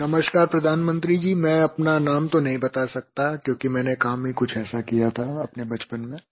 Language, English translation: Hindi, "Namaskar, Pradhan Mantriji, I cannot divulge my name because of something that I did in my childhood